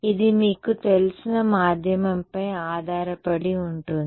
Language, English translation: Telugu, Well that is depends on the medium you know